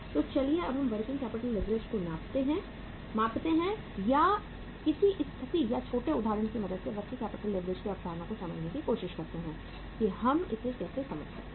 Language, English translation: Hindi, So let us now measure the working capital leverage or try to understand the concept of working capital leverage with the help of uh say a situation or a small example that uh how we can understand it